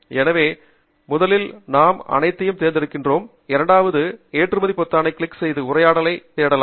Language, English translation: Tamil, so first we select all of them, the second is to click on the export button and that will open up a dialog